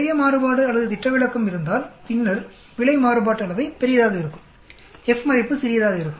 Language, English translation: Tamil, If there is lot of variation or standard deviation then obviously the error variance will be large, F value will be small